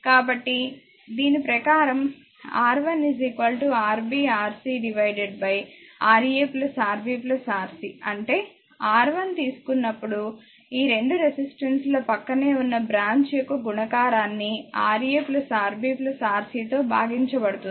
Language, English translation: Telugu, So, R 1 will be Rb, Rc divided by Ra plus Rb plus Rc; that means, when you take the R 1; the product of this 2 resistance adjacent branch, divided by some of all Ra plus Rb plus Rc